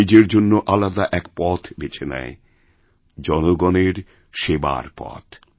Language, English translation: Bengali, He chose a different path for himself a path of serving the people